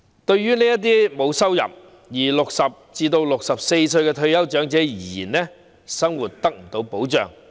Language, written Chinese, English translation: Cantonese, 對於這些沒有收入並介乎60歲至64歲的退休長者而言，生活得不到保障。, To such retired elderly persons aged between 60 and 64 and without any income their livelihood is unprotected